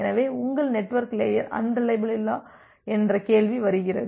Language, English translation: Tamil, So, the question comes that your network layer is unreliable